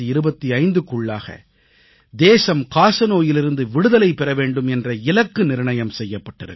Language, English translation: Tamil, A target has been fixed to make the country TBfree by 2025